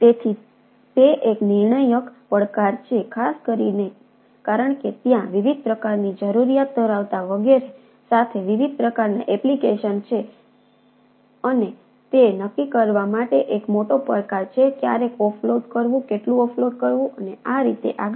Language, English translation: Gujarati, so its its a critical challenge, especially as that there are different type of application with different type of requirement, etcetera, and its its a major challenge to decide that ah, where, when to offload, how much to offload, and and so and so forth